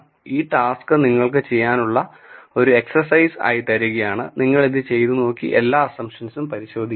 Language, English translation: Malayalam, So, this task we are going to leave it to you as an exercise you can do it and verify these assumptions